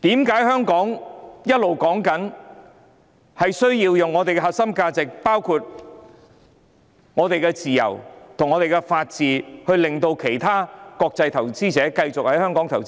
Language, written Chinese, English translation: Cantonese, 為何我們一直說，要維護香港的核心價值，包括自由和法治，令國際投資者繼續在香港投資？, Why do we always say that we must safeguard Hong Kongs core values including freedom and the rule of law so that international investors will continue to invest in Hong Kong?